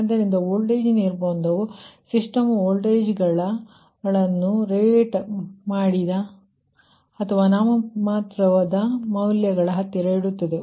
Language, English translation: Kannada, so the voltage constraint will keep the system voltages near the ah, near the rated or nominal values